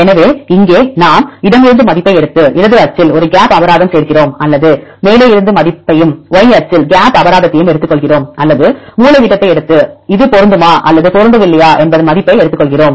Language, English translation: Tamil, So, here we take the value from left and add a gap penalty along left axis or take the value from the above and the gap penalty along the y axis or take the diagonal and take the weight whether this is match or mismatch